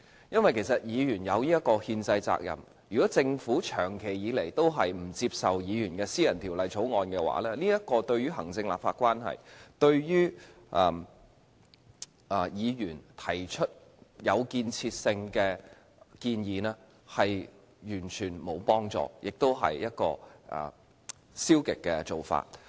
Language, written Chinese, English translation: Cantonese, 議員有這個憲制責任，如果政府長期不接受議員的私人條例草案，對於行政立法關係、對議員提出有建設性的建議，完全沒有幫助，亦是一種消極的做法。, Members have this constitutional responsibility and if the Government persistently refuses to accept the private bills introduced by Members it will be completely unfavourable for the relationship between the executive and the legislature as well as the making of constructive recommendations by Members and this is also a discouraging approach